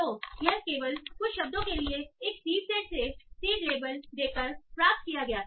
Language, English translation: Hindi, So this was obtained by giving a seed label to only a few words, not these words